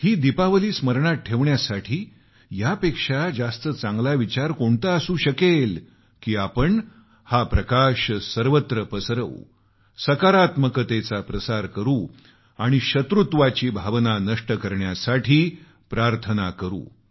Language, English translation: Marathi, To make this Diwali memorable, what could be a better way than an attempt to let light spread its radiance, encouraging positivity, with a prayer to quell the feeling of animosity